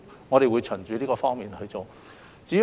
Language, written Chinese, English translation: Cantonese, 我們會從這方面作出處理。, We will deal with the matter from this perspective